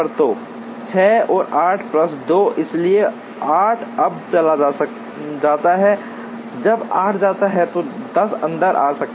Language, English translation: Hindi, So 6 and 8 plus 2, so 8 goes now when 8 goes, 10 can come in